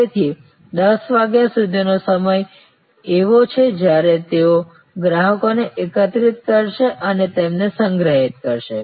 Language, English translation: Gujarati, So, up to 10'o clock is a time when they will gather customer's and store them